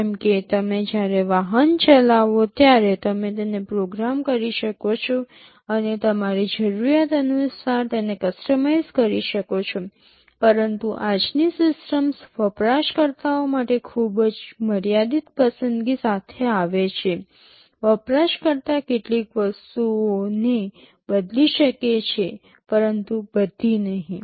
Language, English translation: Gujarati, Like when you drive a vehicle you may program it and customize it according to your need, but as of today the systems come with very limited choice to the users; may be a few things user can specify, but not all